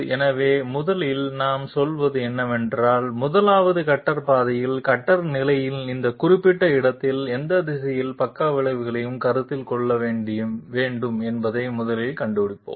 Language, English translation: Tamil, So first what we say is, let us 1st find out in which direction we should consider the sidestep at this particular location of the cutter position on the 1st cutter path